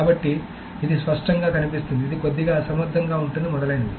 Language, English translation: Telugu, So this you can see that this is clearly going to be a little inefficient etc